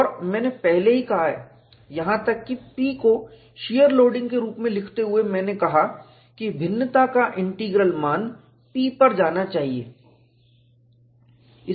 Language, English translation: Hindi, And I have already said, even while writing the P as a shear loading, I said the integral of the variation should go to the value P